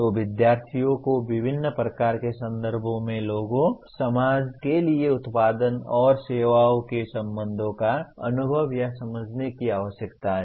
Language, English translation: Hindi, So, the students need to experience or understand the relationship of products and services to people, society in a variety of contexts